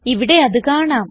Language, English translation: Malayalam, We can see that here